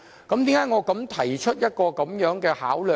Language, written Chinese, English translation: Cantonese, 為何我提出這方面的考量呢？, Why am I proposing such a consideration?